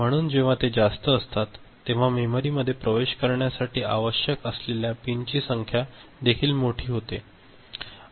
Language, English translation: Marathi, So, when it becomes higher, then the number of pins required to access the memory also becomes larger